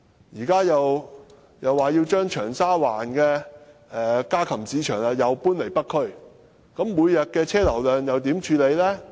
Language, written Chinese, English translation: Cantonese, 現時又說要將長沙灣的家禽市場搬進北區，每天的汽車流量又如何處理呢？, The Government also proposes to move the poultry market from Cheung Sha Wan to the North District but how are we going to deal with the traffic flow each day?